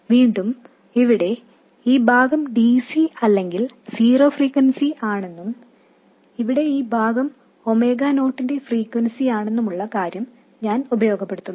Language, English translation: Malayalam, Again I make use of the fact that this part here is DC or zero frequency and this part here is a frequency of omega 0